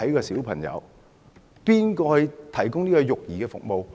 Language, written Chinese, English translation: Cantonese, 誰來提供育兒服務？, Who will provide child care service?